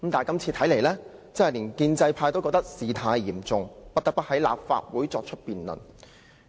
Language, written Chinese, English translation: Cantonese, 但是，看來今次連建制派也覺得事態嚴重，不得不在立法會辯論。, However even the pro - establishment camp is aware of the severity of this matter and the necessity of bring the matter to debate in the Legislative Council